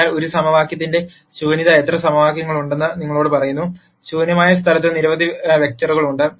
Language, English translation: Malayalam, So, the nullity of a tells you how many equations are there; there are so, many vectors in the null space